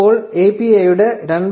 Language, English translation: Malayalam, Now with the version 2